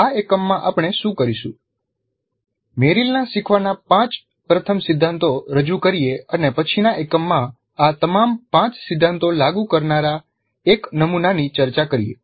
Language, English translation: Gujarati, What we will do in this unit is present merills the five first principles of learning and then discuss one model that implements all these five principles in the next unit